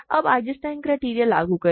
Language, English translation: Hindi, Now, apply Eisenstein criterion